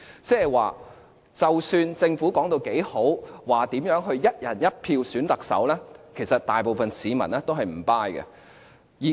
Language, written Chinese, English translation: Cantonese, 即是說不管政府說得有多好，說如何"一人一票"選舉特首，其實大部分市民是"唔 buy"。, In other words despite the ear - pleasing remarks made by the Government that the Chief Executive election would be conducted in one person one vote the general public just did not buy the idea